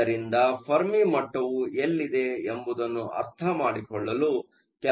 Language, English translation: Kannada, So, let us do some numbers to get a sense, where the Fermi level is located